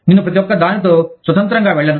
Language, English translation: Telugu, I will not go through, each one, independently